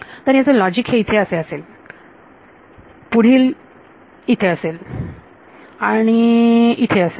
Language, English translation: Marathi, So, the logic can just be this right the next is over here, over here and over here